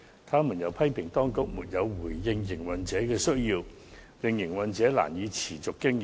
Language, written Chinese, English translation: Cantonese, 他們又批評當局沒有回應營運者的需要，令營運者難以持續經營。, They have also criticized the authorities for failing to respond to the needs of operators making it difficult for operators to sustain their businesses